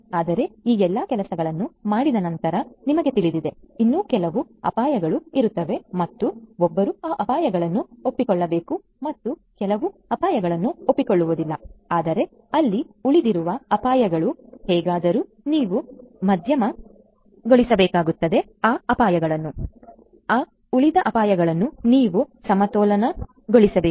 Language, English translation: Kannada, So, you know after doing all of these things, there will still be some risks that will be there and one has to accept those risks and not just accepting the risks, but those residual risks that will be there, somehow you will have to moderate those risk; you have to balance out those residual risks